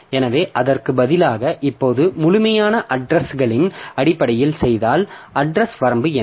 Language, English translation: Tamil, So, now instead of that if you do in terms of absolute addresses, then what is the address range